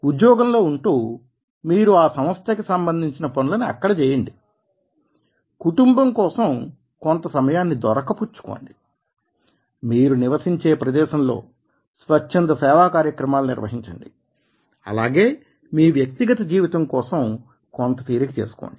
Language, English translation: Telugu, staying on the job, you can do in the work in the organizations, find time for the family, do the volunteering job, do the volunteer jobs for the community and also have a leisure and your personal life